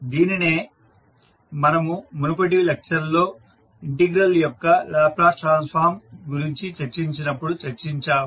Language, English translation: Telugu, So this is what we discussed when we discuss the Laplace transform for the integral term in the previous lectures